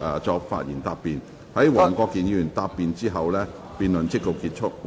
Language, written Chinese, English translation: Cantonese, 在黃國健議員答辯後，辯論即告結束。, The debate will come to a close after Mr WONG Kwok - kin has replied